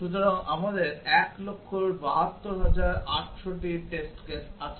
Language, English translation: Bengali, So, we have 172,800 test cases